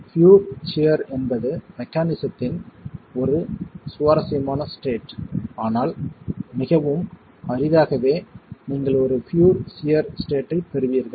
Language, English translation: Tamil, It's pure shear is an interesting state in mechanics, but very rarely would you get a pure sheer state